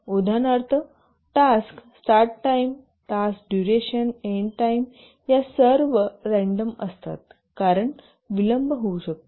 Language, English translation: Marathi, For example, the task start time, the task duration, end time, these are all random because there can be delays